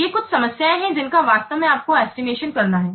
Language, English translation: Hindi, These are some problems actually with estimating